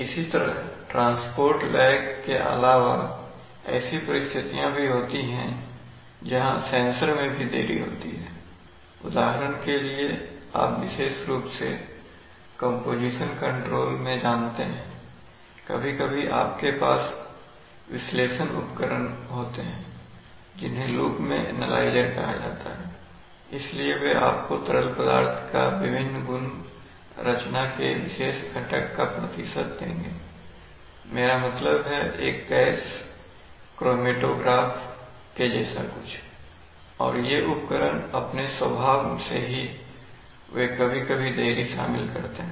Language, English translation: Hindi, Where delays are caused also in the sensors, for example sometimes you have, you know especially in composition control sometimes you have instruments analysis instruments called analyzers in the loop, so they will give you various properties of liquids, percentage of a particular ingredient of the composition, I mean, something like a gas chromatograph and these instruments by their very nature they sometimes involved delays